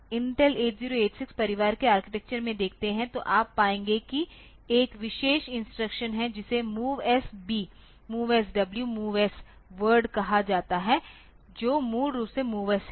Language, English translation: Hindi, So, in if you look into Intel 8086 family of architecture then you will find that there is a special instruction which is called the MOVS MOVS B, MOVS W, MOVS word like that basically the MOVS